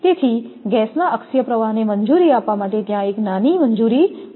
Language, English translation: Gujarati, So, there should be a small clearance to sheath is left for allowing the axial flow of the gas